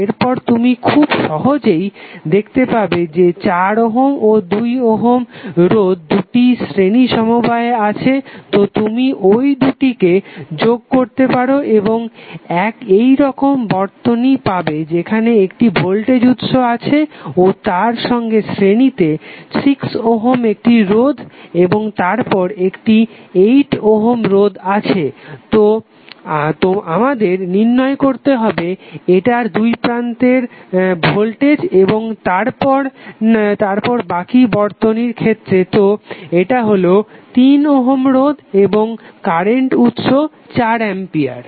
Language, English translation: Bengali, So, across AB your updated circuit would be like this next what we have to do, you have to, you can see easily that 4 ohm and 2 ohm resistances are in series so you can club both of them and you will get circuit like this where you have voltage source in series with 6 ohm resistance and then you have 8 ohm resistance, so we have to find out the voltage across this and then the rest of the circuit, so that is the 3ohm resistance, and the current source of 4 ampere